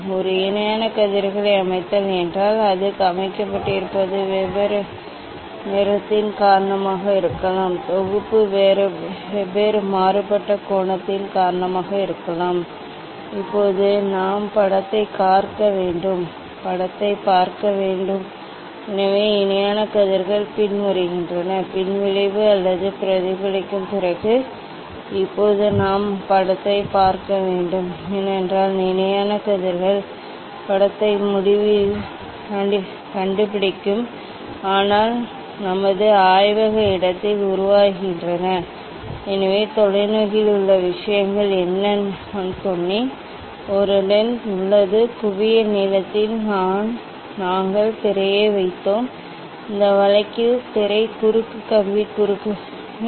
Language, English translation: Tamil, Set a parallel rays means, it can be that is set can be because of different colour, the set can be because of different diffractive angle, now we have to see the image, we have to see the image; so parallel rays are coming after, after afters deflection or reflection now we have to we have to see the image, because parallel rays it will found the image at infinity but to form in our laboratory space, so use telescope what the things are in telescope I told, one lens is there, at focal length we put the screen; in this case screen is the cross wire, is the cross wire